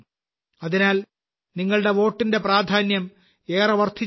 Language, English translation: Malayalam, That is why, the importance of your vote has risen further